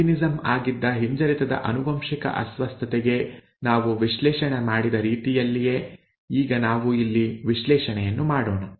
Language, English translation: Kannada, Now let us do the analysis here, the same way that we did analysis for a recessively inherited disorder which was albinism, it was an example of that